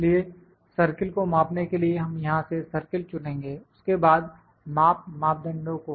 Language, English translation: Hindi, So, to measure the circle we will select circle from here, then measurement parameters